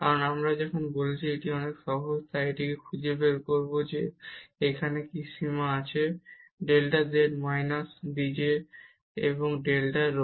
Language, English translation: Bengali, Because as I said this is much easier so, we will find out that what is limit here delta z at minus dz at over delta rho